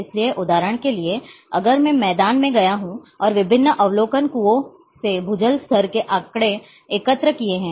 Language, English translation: Hindi, So, for example, if I have gone in the field and collected say ground water level data from different observation wells